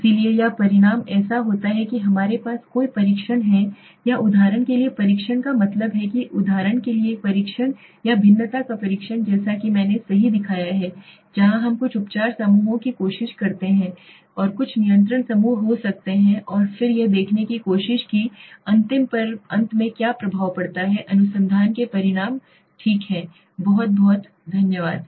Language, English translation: Hindi, So or the result so do this we have several tests or to be say test of means right for example a t test or a test of variances as I showed anova right so where we try to have some treatment groups and some control groups may be and then tried to see what is the effect at the end on the final research outcome okay thank you very much